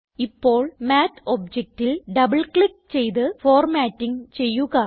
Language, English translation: Malayalam, For now, let us double click on the Math object And do the formatting